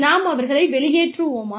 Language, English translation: Tamil, Do we throw them out